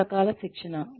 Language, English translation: Telugu, Various types of training